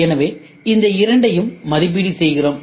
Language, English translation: Tamil, So, we evaluate these two and then we try to take a cost